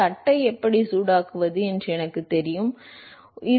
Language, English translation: Tamil, Let us say I know how to heat the plate